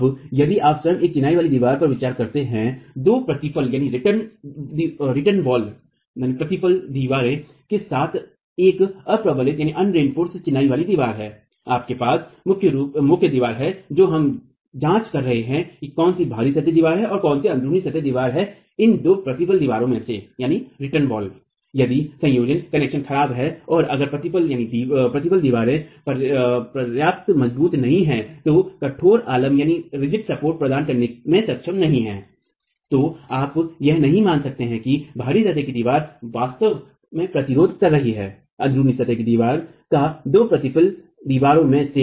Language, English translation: Hindi, Now, if you consider a masonry wall itself, an unreinforced masonry wall with two return walls, you have the main wall that we are examining which is the out of plain wall and two return walls which are in plain walls if the connections are poor and if the return walls are not strong enough to not be able to provide a rigid support then you cannot assume that the out of plain wall is actually restrained by the out of the in plain walls, the two return walls